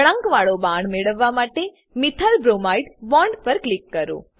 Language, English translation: Gujarati, Click on Methylbromide bond to obtain a curved arrow